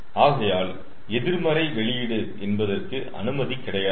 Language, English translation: Tamil, so negative output is not allowed